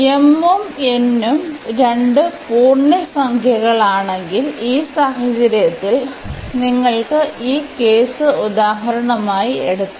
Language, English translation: Malayalam, If both are integers m and n both are integers so, in this case we have you can either take this case for example